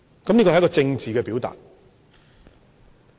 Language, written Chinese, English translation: Cantonese, 這是一個政治表達。, This is a political expression